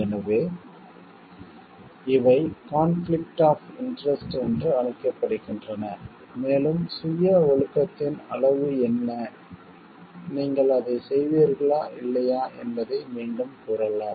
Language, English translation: Tamil, So, these are called like conflicts of interest happening and again what is the degree of self discipline and whether you will be doing it or not doing it